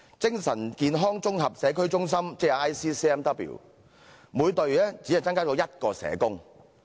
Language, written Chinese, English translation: Cantonese, 精神健康綜合社區中心每隊只增加1名社工。, In Integrated Community Centres for Mental Wellness ICCMWs only one social worker is added to each team